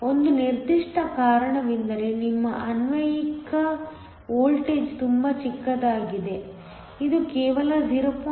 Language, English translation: Kannada, One particular reason is because your applied voltage is very small, it is only 0